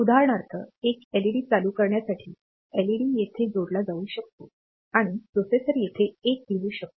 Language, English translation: Marathi, For example, for turning on one LED, the LED may be connected from here and the processor may write a one here